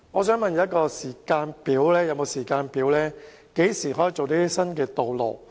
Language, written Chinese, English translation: Cantonese, 請問局長是否有時間表，何時能興建新道路？, Does the Secretary have a timetable for the construction of new roads?